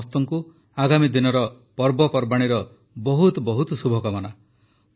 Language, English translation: Odia, My very best wishes to all of you for the forthcoming festivals